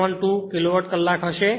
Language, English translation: Gujarati, 672 Kilowatt hour